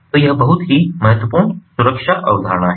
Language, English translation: Hindi, so this is a very important security concept